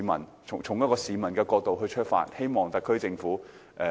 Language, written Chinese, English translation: Cantonese, 我是從一名市民的角度出發，希望特區政府審慎立法。, My speech is based on the angle of an ordinary person and I hope that the SAR Government can enact legislation prudently